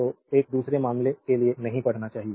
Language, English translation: Hindi, So, this you should not read for the second case right